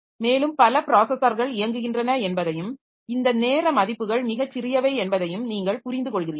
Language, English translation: Tamil, And you understand that there are so many processes running and this time values are so small